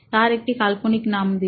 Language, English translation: Bengali, Give them a fictional name